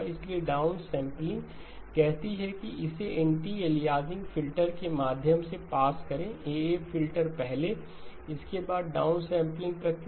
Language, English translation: Hindi, So the down sampling says pass it through the anti aliasing filter first, AA filter first, followed by the down sampling process